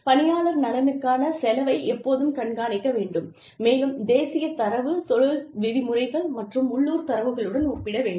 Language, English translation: Tamil, The cost of the employee benefit should be routinely monitored, and compared to national data, industry norms, and localized data